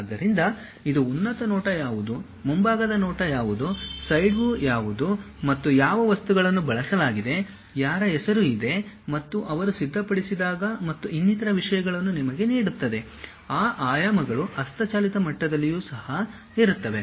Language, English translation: Kannada, So, it makes something like what is top view, what is front view, what is side view and what are the materials have been used, whose name is there, and when they have prepared and so on so things and gives you those dimensions also at manual level